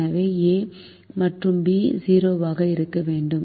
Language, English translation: Tamil, so a and b have to be greater than or equal to zero